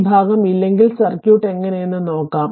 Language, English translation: Malayalam, So, if this part is not there let us see the how the circuit is right